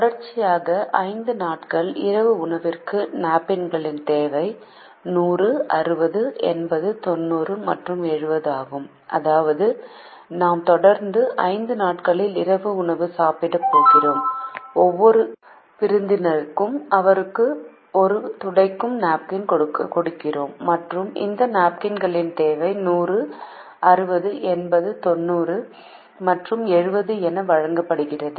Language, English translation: Tamil, the problem is as follows: the requirement of napkins on five consecutive days of dinner is hundred sixty, eighty, ninety and seventy, which means that they are going to have dinner on five consecutive days and for each guest there is a napkin that is given for them to use, and the requirement of these napkins are given as hundred sixty, eighty, ninety and seventy